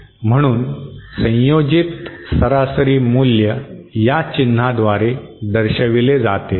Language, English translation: Marathi, So the representation of ensemble average by this symbol